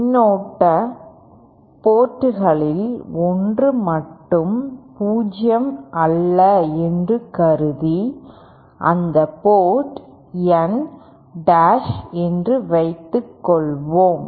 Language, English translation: Tamil, Suppose considered that only one of the one of the ports currents are non 0 and let that port be called as N dash